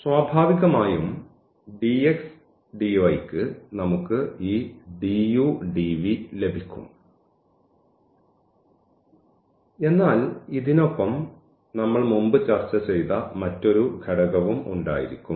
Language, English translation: Malayalam, Naturally, for the dx dy we will get this du dv, but with this another factor which we have just discussed before also